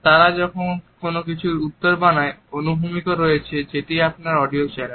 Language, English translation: Bengali, As they formulate an answer to something there is also horizontal which is your audio channel